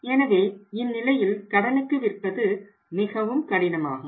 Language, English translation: Tamil, So, in that case if still they have to sell on the credit is very difficult